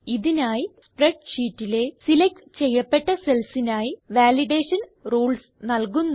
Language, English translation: Malayalam, This is done by specifying the Validation rules for the selected cells in the spreadsheet